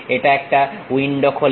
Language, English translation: Bengali, It opens a window